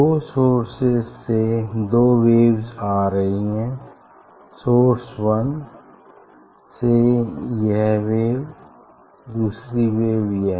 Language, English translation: Hindi, from two source; two waves are coming and from two source 1 wave is this another wave is this